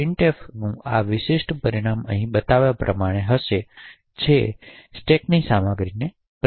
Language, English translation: Gujarati, The result this particular printf would be as shown over here which essentially would print the contents of the stack